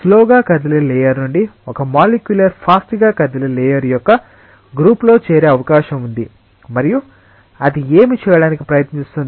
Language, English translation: Telugu, It is very likely that a molecule from the slower moving layer joins the group of a faster moving layer and what it will try to do